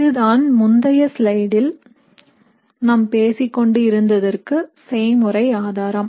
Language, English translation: Tamil, So this is an experimental evidence for what we were talking about in the previous slide